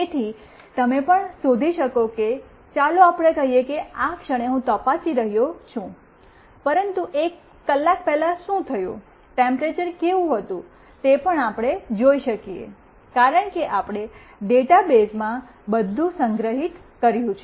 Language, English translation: Gujarati, So, you can also find out let us say I am checking right at this moment, but what happened to one hour before, what was the temperature that also we can see, because we have stored everything in the database